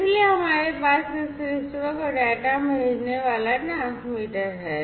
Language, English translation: Hindi, So, we have this transmitter sending the data to this receiver